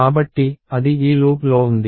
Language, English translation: Telugu, So, that is there in this loop